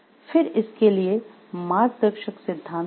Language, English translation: Hindi, Then what are the guiding principles